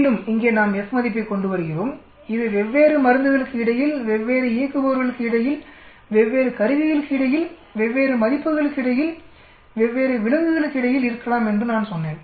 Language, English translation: Tamil, And again here also we come up with the F value here as I said it could be between different drugs, between different operators, between different instruments, between different assets, between different animals